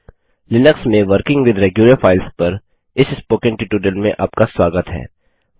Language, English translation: Hindi, Welcome to this spoken tutorial on working with regular files in Linux